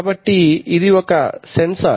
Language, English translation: Telugu, So this is a sensor